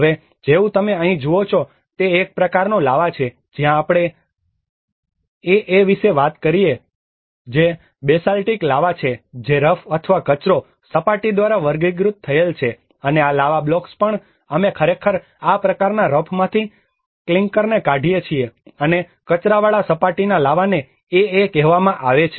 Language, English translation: Gujarati, \ \ Like now what you see here is a kind of lava where we talk about the \'ebAa\'ed which is the basaltic lava which is characterized by a rough or a rubbly surface and these lava blocks also we actually extract the clinker from this kind of rough and rubbly surface lava is called \'ebAa\'ed